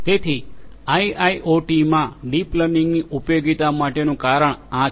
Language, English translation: Gujarati, So, the reason for the usefulness of deep learning in IIoT is like this